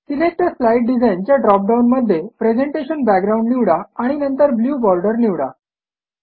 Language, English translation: Marathi, In the Select a slide design drop down, select Presentation Backgrounds